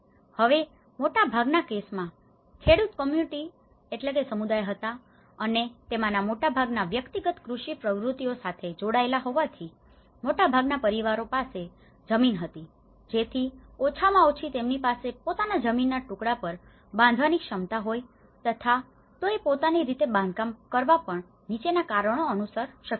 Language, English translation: Gujarati, Now, in most of the cases being a farmer’s community and most of these individual agricultural activities, most of these families own land so that at least they have a capacity to build on their own piece of land and they could able to develop self help construction for the following reasons